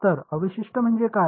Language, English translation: Marathi, So, the residual is what